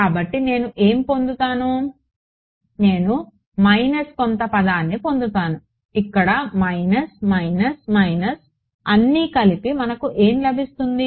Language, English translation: Telugu, So, what will I get I will get a minus some term over here let us a minus, minus which gets combined into what will that term be is equal to will simply be